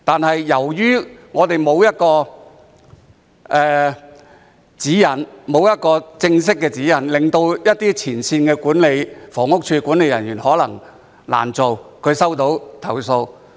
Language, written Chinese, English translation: Cantonese, 可是，由於我們沒有正式的指引，以致一些前線的房屋署管理人員在收到投訴後或會難以處理。, However since we do not have formal guidelines some frontline management personnel of HD may find it difficult to handle such complaints